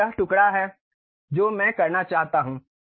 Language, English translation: Hindi, Now, is that the slice what I would like to have